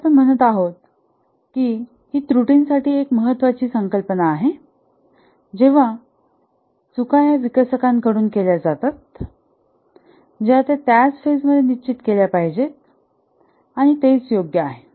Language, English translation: Marathi, As we are saying that it's a important concept for the errors when the mistakes are made by the developers, they must be fixed in the same phase